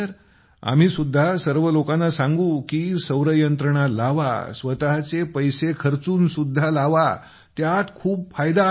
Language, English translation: Marathi, We will tell all of them Sir, to get solar installed, even with your own money,… even then, there is a lot of benefit